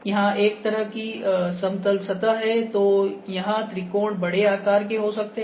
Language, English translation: Hindi, If it is a kind of a plane surface here, so here the triangles can be of bigger size